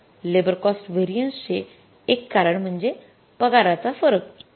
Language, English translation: Marathi, So, one cause of this labour cost variance is the labour rate of pay variance